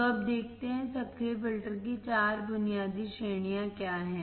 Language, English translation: Hindi, So, now, let us see what are the four basic categories of active filter